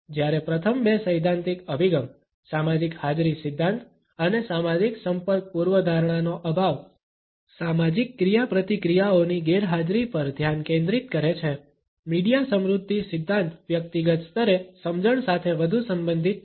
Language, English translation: Gujarati, Whereas the first two theoretical approaches, the social presence theory and the lack of social contact hypothesis, focus on the absence of social interaction, the media richness theory is more related with a comprehension at an individual level